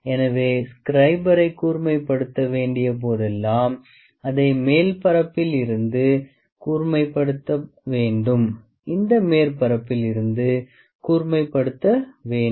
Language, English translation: Tamil, So, whenever the scriber has to be sharpened it has to be sharpened from the top taper surface, it has to sharpen from this surface